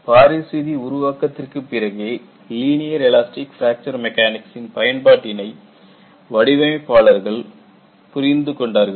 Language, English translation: Tamil, Only after Paris law was developed, designers really looked at, linear elastic fracture mechanics is useful